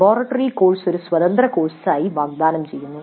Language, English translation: Malayalam, The laboratory course is offered as an independent course